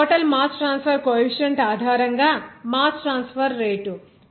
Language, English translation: Telugu, Now, mass transfer rate based on overall mass transfer coefficient